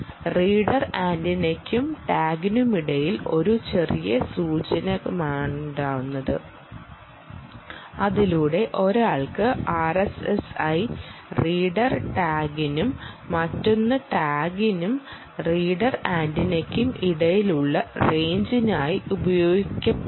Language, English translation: Malayalam, it simply means that, ranging between the reader antenna and a tag, there is a small indicator by which she can, one can leverage r s s i for the purposes of ranging between the reader tag and the other, the tag and the reader antenna